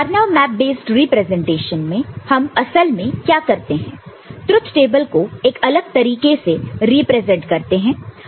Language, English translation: Hindi, So, in the Karnaugh map based representation what we do actually; the truth table we present in a different manner